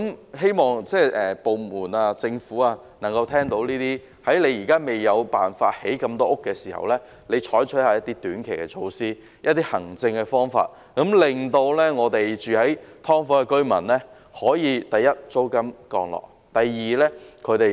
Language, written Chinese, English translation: Cantonese, 我希望政府部門能夠聽到這些建議，在未有辦法興建足夠房屋前，採取一些短期措施或行政方法，令居於"劏房"的居民可以，第一，租金下降；第二，有一個比較安全的居所。, I hope that government departments can hear these suggestions and before there is a way to develop sufficient housing units short - term measures or administrative initiatives should be adopted to enable tenants of subdivided units to firstly pay lower rents and secondly have a safer dwelling place